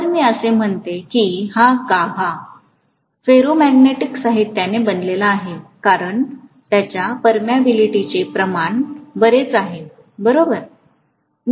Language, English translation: Marathi, If I say that this core is made up of ferromagnetic material, because of its permeability being quite high, Right